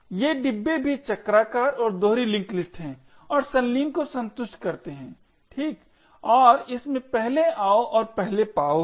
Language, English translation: Hindi, These bins are also circular and doubly linked list and satisfy coalescing okay and it has First in First out